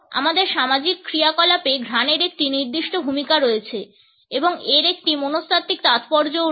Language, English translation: Bengali, In our social functioning, scent has a certain role and it also has a psychological significance